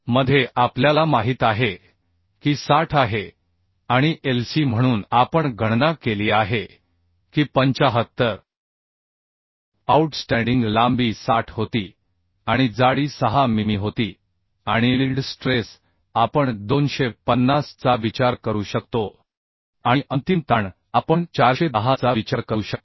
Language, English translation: Marathi, 76 into bs we know that is 60 and Lc we have calculated as 75 outstanding length was 60 and thickness was 6 mm and yield stress we can consider 250 and ultimate stress we can consider 410 So if we put this value we can find out the value of beta as 1